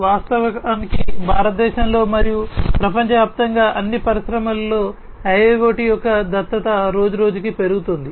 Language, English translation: Telugu, In fact, the adoption of IIoT is increasing day by day continuously in all industries in India and throughout the world